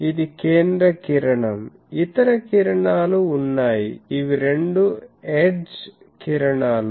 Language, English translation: Telugu, What I said this is the central ray there are other rays, these are the two edge rays